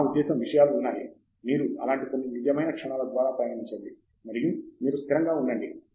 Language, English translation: Telugu, I mean there are points, you go through some real moments like that, and you just be prepared